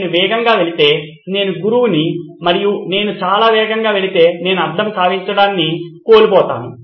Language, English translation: Telugu, If I go fast, if I am the teacher and I go very fast I sort of miss out on the retention